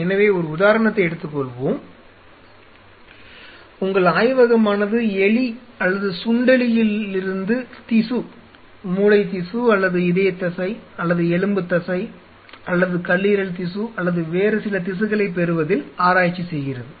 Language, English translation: Tamil, So, let us take an example say for example, your lab works on deriving tissues brain tissues or cardiac muscle or you know skeletal muscle or liver tissue or some other tissue from the rat or a mouse